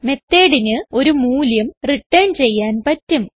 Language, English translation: Malayalam, A method can return a value